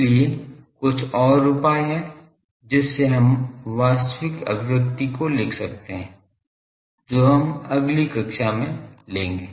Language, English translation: Hindi, So, some more steps are there to actual writing the expressions of this that we will take in the next class